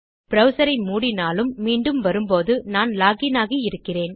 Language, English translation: Tamil, If I close the browser I am still going to be logged in when I enter back